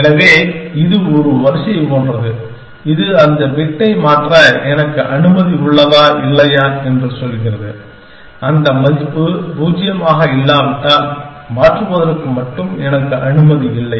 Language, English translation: Tamil, So, this is like an array, which tells me whether I am allowed to change that bit or not, if that value is non zero, I am not allowed to change only